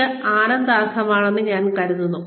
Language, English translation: Malayalam, And that, I think is commendable